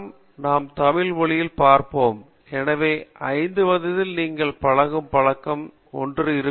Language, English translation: Tamil, So these are all some statements we will see in Tamil, so the habit that you inculcate in the age of 5, will be thing